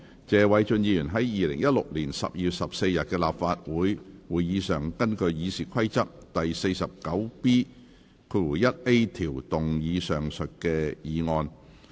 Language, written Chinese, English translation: Cantonese, 謝偉俊議員在2016年12月14日的立法會會議上，根據《議事規則》第 49B 條動議上述議案。, At the Council meeting of 14 December 2016 Mr Paul TSE moved the above motion under Rule 49B1A of the Rules of Procedure